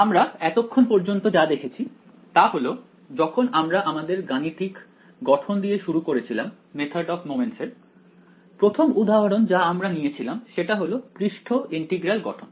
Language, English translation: Bengali, What we have seen so far is when we started with the mathematical formulation of method of moments, the first example we took was the surface integral formulation